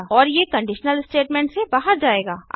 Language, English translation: Hindi, And it will exit the conditional statement